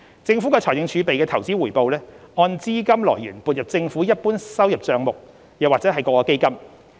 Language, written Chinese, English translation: Cantonese, 政府財政儲備的投資回報，按資金來源撥入政府一般收入帳目或各基金。, The investment return of the Governments fiscal reserves is transferred to the General Revenue Account or various funds depending on the sources of funding